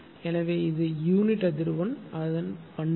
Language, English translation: Tamil, So, this is unit frequency the characteristics it is